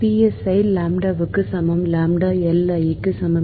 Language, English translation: Tamil, right, psi is equal to lambda, lambda is equal to l i